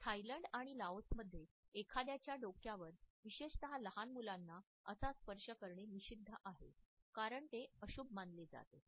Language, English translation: Marathi, In Thailand and Laos it is a taboo to touch somebody on head particularly the young children because it is considered to be inauspicious